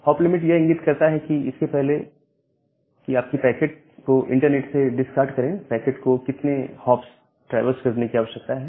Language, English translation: Hindi, And the hop limits denote that, how many hop the packet should traverse because, before you discard the packet from the internet